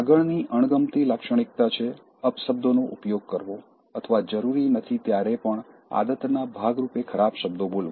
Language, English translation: Gujarati, The next dislikeable trait is, using abusive language or cursing as a habit, even when it is not required